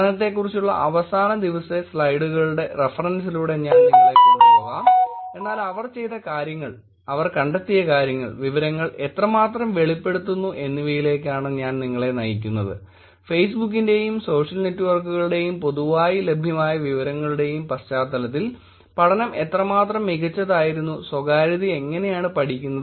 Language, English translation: Malayalam, Here is the study that I will walk you through the reference to the study is at the end of the day of the slides, but we walk you through what they did, what they find, how revealing the information are, how good the study was and how the privacy is being actually studied in the context of Facebook and social networks and publicly available information